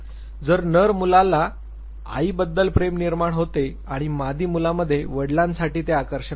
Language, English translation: Marathi, So, male child would develop love for the mother and the female child would develop that degree of attraction for the father